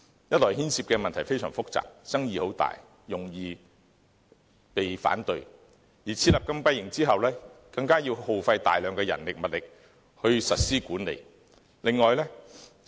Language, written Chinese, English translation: Cantonese, 一來牽涉的問題非常複雜，爭議很大，容易遇到反對，而設立禁閉營之後，更要耗費大量人力物力去管理。, First of all this proposal involves complicated and controversial issues and is likely to meet with opposition . Besides a substantial amount of manpower and resources is required to manage the closed holding centres after their establishment